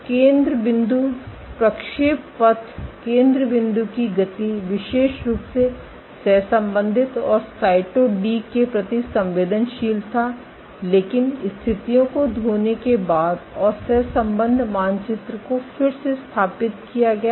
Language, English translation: Hindi, So, the foci trajectories, the foci movement was specially correlated and sensitive to Cyto D, but after wash out the positions and the correlation map is reestablished established